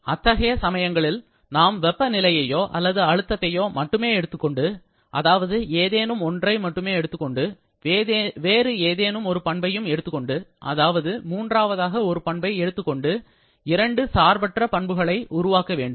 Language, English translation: Tamil, Therefore, in that situation, we can take only temperature or pressure that is one of these two and we have to specify something else, second property or the third property I should say to get two independent intensive properties